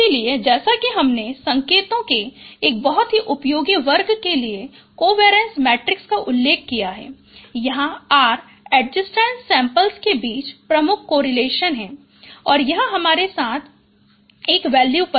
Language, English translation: Hindi, So as I mentioned, covariance matrix for a very useful class of signals where R is the measure of correlation between adjacent samples and it is a value near to one